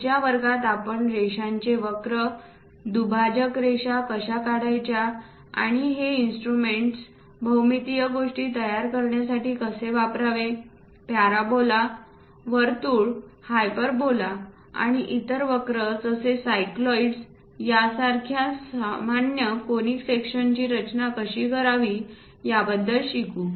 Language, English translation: Marathi, In the next class onwards we will learn about how to draw lines curves, bisector lines and so on how to utilize these instruments to construct geometrical things, how to construct common conic sections like parabola, circle, hyperbola and other curves like cycloids and so on